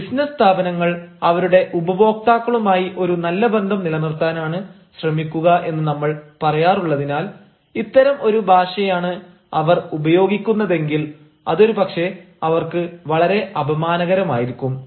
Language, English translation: Malayalam, now, since we say that business organizations try to maintain a goodwill with their customers, and if they write such a language, if they using use such a language, it will perhaps be very insulting